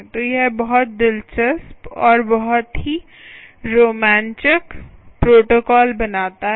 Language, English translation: Hindi, so that makes it very interesting and very exciting protocol